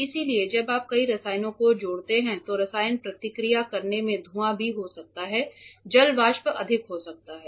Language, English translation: Hindi, So, when you add multiple chemicals the chemicals will react there might be fumes ok, water vapour might get greater